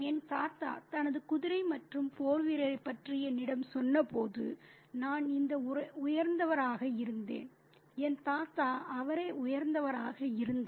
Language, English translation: Tamil, I was this high when my grandfather told me about his horse and the warrior and my grandfather was this high when he himself